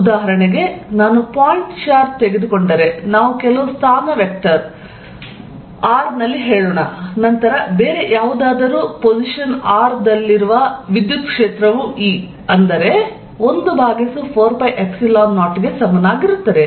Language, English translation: Kannada, For example, if I take a point charge, let us say at some position vector R, then the electric field at some other position r is going to be E equals 1 over 4 pi Epsilon 0